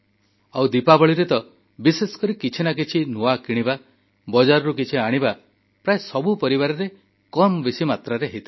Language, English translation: Odia, And especially during Diwali, it is customary in every family to buy something new, get something from the market in smaller or larger quantity